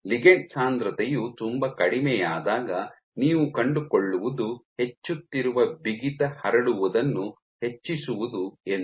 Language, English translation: Kannada, While when the ligand density is very low what you find is increasing amount of stiffness is to increase spreading